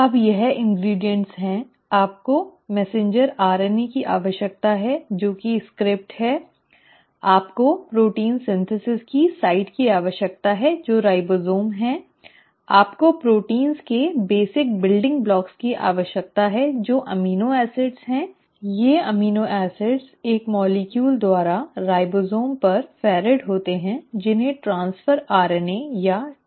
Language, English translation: Hindi, Now that is what are the ingredients, you need the messenger RNA which is the script, you need the site of protein synthesis which is the ribosome, you need the basic building blocks of proteins which are the amino acids and these amino acids are ferried to the ribosomes by a molecule called as transfer RNA or tRNA